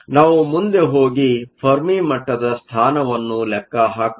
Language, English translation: Kannada, We can go ahead and calculate the position of the fermi level